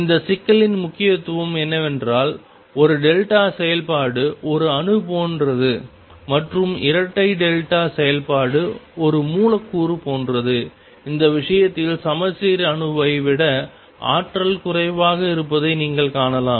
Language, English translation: Tamil, Significance of this problem is that a single delta function is like an atom and a double delta function is like a molecule and in this case, you would find that symmetric psi has energy lower than the atom